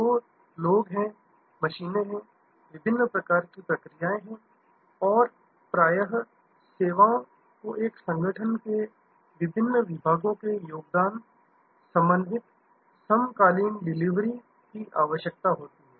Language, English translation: Hindi, So, there are people, there are machines, there are different types of processes and often services need contribution from different departments of an organization, coordinated synchronized delivery